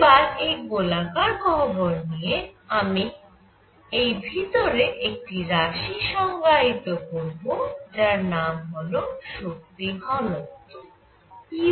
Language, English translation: Bengali, Now when I take a spherical cavity I am going to define something called the energy density u in the cavity